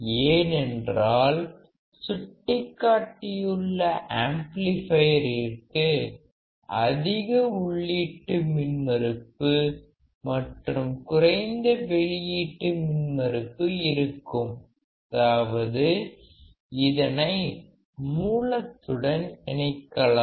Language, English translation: Tamil, Because the indicated amplifier has a high input impedance and it has low output impedance; that means, it can be connected to a source